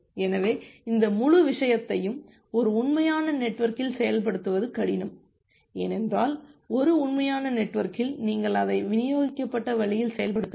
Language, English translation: Tamil, So, this entire thing is difficult to implement in a real network, because in a real network, you have to implement it in a distributed way